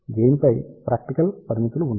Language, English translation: Telugu, There are practical limitations on the gain